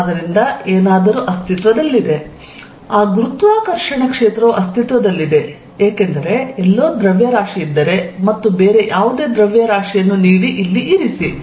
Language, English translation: Kannada, So, something exist that gravitational field exist, because if there is mass is being somewhere and given any other mass put here